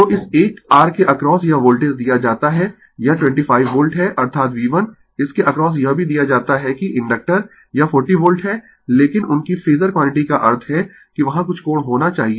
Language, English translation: Hindi, So, this Voltage across this one R is given it is 25 volt that is V 1 across this also it is given that inductor it is 40 volt right, but their Phasor quantity; that means,, there must be some angle